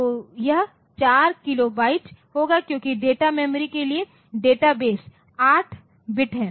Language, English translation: Hindi, So, this will be 4 kilobyte because the database for data memory is 8 bit